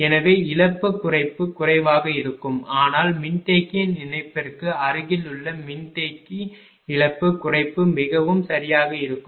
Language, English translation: Tamil, So, loss reduction will be less, but capacitor in the vicinity of the connection of the capacitor sun capacitor the loss reduction will be more right